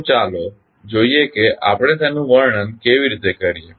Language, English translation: Gujarati, So, let us see how we describe it